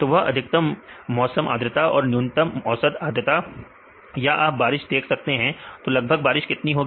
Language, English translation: Hindi, So, that is a maximum relative humidity and the minimum relative humidity or you can see the rainfalls; what is the approximate rainfall